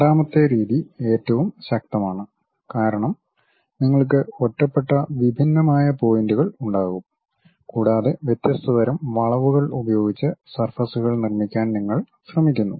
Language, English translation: Malayalam, The second method is most powerful because you will be having isolated discrete points and you try to construct surfaces using different kind of curves through which